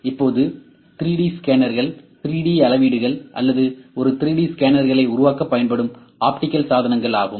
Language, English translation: Tamil, Now, 3D scanners are optical devices used to create 3D measurements or a 3D scanners, we have 3D scanners ok